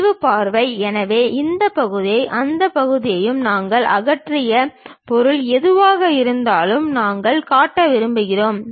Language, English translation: Tamil, The sectional view, so whatever the material we have removed this part and that part, we would like to show